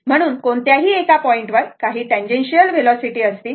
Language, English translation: Marathi, So, at any point a some tangential velocity will be there